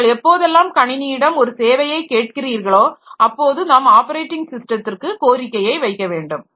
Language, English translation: Tamil, So, whenever you are asking for some service from the system, so you have to send a request to the operating system